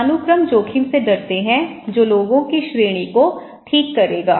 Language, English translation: Hindi, Hierarchists fear risk that would upset the ranking of people okay